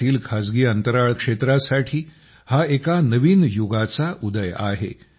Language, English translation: Marathi, This marks the dawn of a new era for the private space sector in India